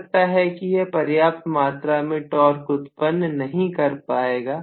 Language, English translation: Hindi, This may not develop adequate amount of torque, maybe